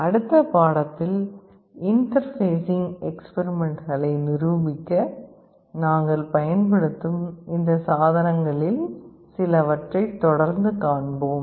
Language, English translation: Tamil, In the next lecture we shall be continuing with some more of these devices that we will be using to show you or demonstrate the interfacing experiments